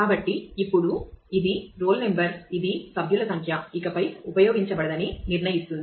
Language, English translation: Telugu, So, now, it is a roll number which determines everything member number is no longer used